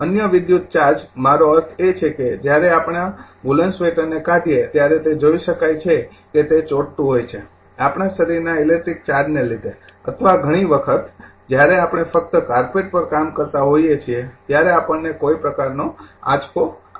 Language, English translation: Gujarati, Other electrical charge I mean if you I mean when remove our your woolen sweater, you know you can see that it is your sticking and our body this is due to the electric charge or sometimes so, we get some kind of shock when you are working you know you receive a shock when you are working only carpet